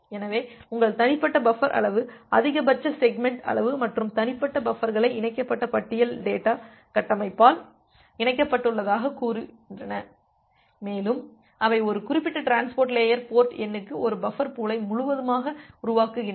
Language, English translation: Tamil, So, your individual buffer size is the maximum segment size and say individual buffers are connected by a linked list kind of data structure and they entirely construct the buffer pool for a particular transport layer port number corresponds to an application